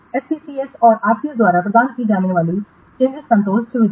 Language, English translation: Hindi, The change control facilities provided by SCSS and CCS